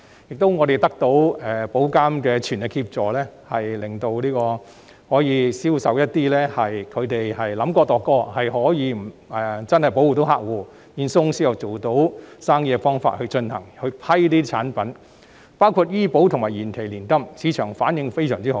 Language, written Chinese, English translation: Cantonese, 此外，我們得到保監局的全力協助，批准一些經過深思熟慮、並透過既能保護客戶而保險公司亦能做到生意的方法進行銷售的產品，包括醫保計劃及延期年金等，市場的反應非常好。, Moreover we received full assistance from IA such that it approved some deliberate products of which sales are conducted via means that cannot only protect customers but also give business practicability to insurance companies . Such products include health insurance plans and deferred annuities . They have received an excellent market response